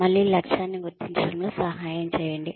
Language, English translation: Telugu, Again, assist in goal identification